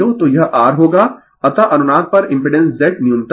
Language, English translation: Hindi, So, it will be R, thus at the resonance impedance Z is minimum